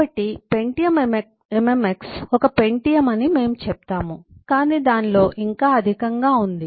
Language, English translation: Telugu, But then we have pentium mmx, which is pentium with multimedia functionality